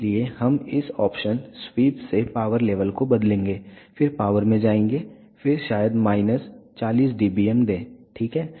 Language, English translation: Hindi, So, we will change the power level from this options sweep then go to power then give maybe minus 40 dBm, ok